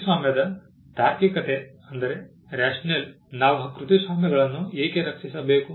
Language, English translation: Kannada, The rationale of copyright: Why should we protect copyrights